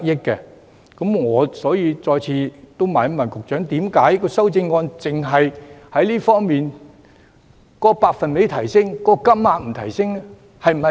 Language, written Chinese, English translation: Cantonese, 因此，我想再次詢問局長，為何今次修正案只提升百分比，卻沒有提升金額上限？, Therefore I would like to ask the Secretary again why the current amendment only increases the percentage but does not raise the ceiling